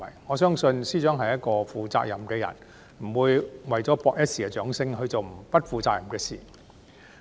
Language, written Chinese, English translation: Cantonese, 我相信，司長是一個負責任的人，不會為了博取一時掌聲，而去做不負責任的事。, I believe that the Financial Secretary is a responsible person . He will not do something irresponsible for the sake of winning momentary applause